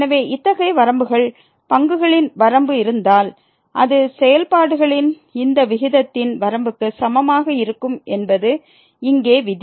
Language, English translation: Tamil, So, this is the rule here that if such limits exists the limit of the derivatives, then we this will be equal to the limit of this ratio of the functions